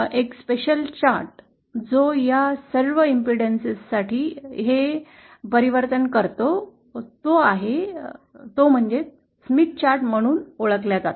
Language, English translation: Marathi, A special chart which does this transformation for all impedances is what is known as a Smith chart